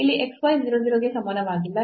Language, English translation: Kannada, And the value is 0 when x y equal to 0 0